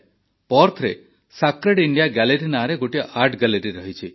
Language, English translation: Odia, In Perth, there is an art gallery called Sacred India Gallery